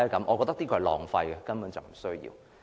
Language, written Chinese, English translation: Cantonese, 我覺得這是浪費的，根本不需要。, I think this is a sheer waste of money and totally unnecessary